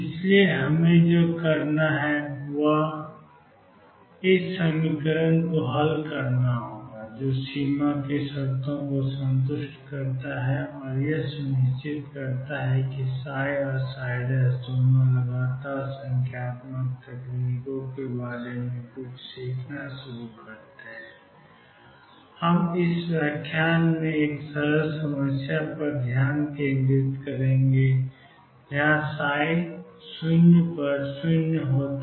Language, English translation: Hindi, So, what we need to do is solve this equation satisfying the boundary conditions and making sure that psi n psi prime both are continuous to start learning about numerical techniques we will focus in this lecture on a simpler problem where psi 0 is 0 and psi L is 0 that will also make us understand the problem better